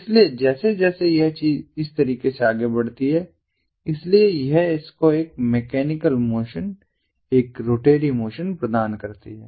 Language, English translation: Hindi, so as this thing moves in this manner, so this gives this one a mechanical motion, a rotatory motion